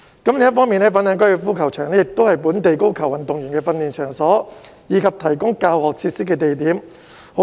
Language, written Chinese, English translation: Cantonese, 另一方面，粉嶺高爾夫球場亦是本地高爾夫球運動員的訓練場所，以及提供教學設施的地點。, On another front the Fanling Golf Course is also a training ground for local golfers and a place to provide teaching facilities